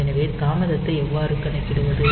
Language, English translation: Tamil, So, how to calculate the delay